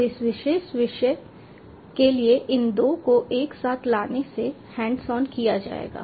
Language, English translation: Hindi, so bringing these two together for this particular topic will get into the hands on